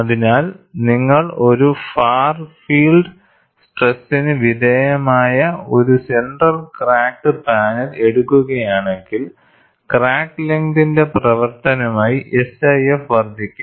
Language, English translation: Malayalam, So, if you take a center cracked panel, subjected to a far field stress, SIF would increase as the function of crack length